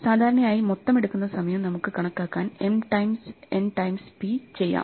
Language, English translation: Malayalam, With total work is, usually easy to compute us m times n times p